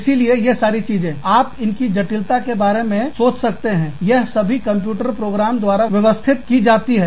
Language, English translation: Hindi, So, all of that, when you think of the complexity, all of this is managed by computer programs